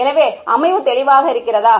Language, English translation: Tamil, So, is the set up clear